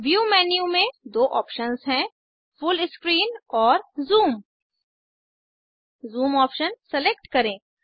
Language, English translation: Hindi, In the View menu, we have two options Full Screen and Zoom